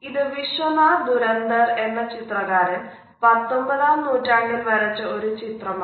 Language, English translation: Malayalam, This is a 19th century painting by Vishwanath Dhurandhar